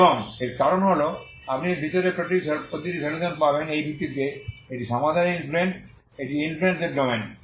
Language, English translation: Bengali, And this is because it you get every solution within this based on this this is the influence of for the solution this is the domain of influency